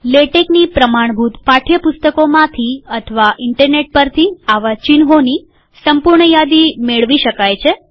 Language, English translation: Gujarati, One can get the complete list of such symbols from standard textbooks on latex or from the internet